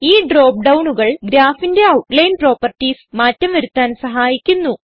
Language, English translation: Malayalam, These drop downs help to change the outline properties of the Graph